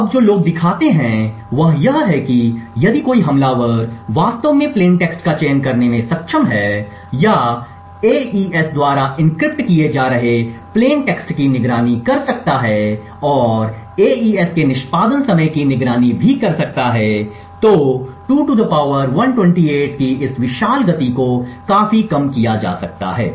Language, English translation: Hindi, What people now show is that if an attacker is able to actually choose plain text or monitor the plain text that are being encrypted by AES and also monitor the execution time of AES then this huge pace of 2 power 128 can be reduced quite drastically